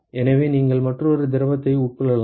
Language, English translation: Tamil, So, you can have another fluid